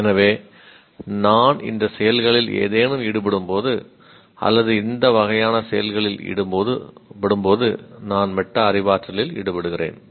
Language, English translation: Tamil, So when I am engaging in any of these activities or this type of activities, I am engaging in metacognition